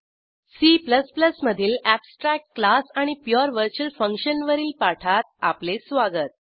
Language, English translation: Marathi, Welcome to the spoken tutorial on abstract class and pure virtual function in C++